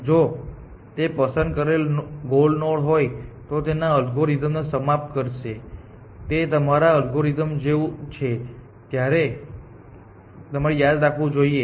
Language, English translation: Gujarati, So, if it is picked goal node it will terminate that is the algorithm; that you must remember like the algorithm